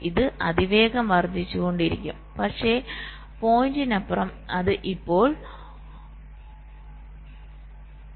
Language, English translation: Malayalam, so it will go on rapidly increasing, but beyond the point it will now a less level of